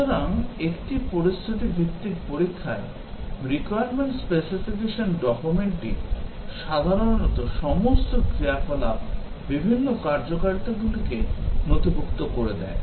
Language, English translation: Bengali, So, in a scenario based testing, the requirement specification document, typically documents all possible scenarios of operation, of various functionalities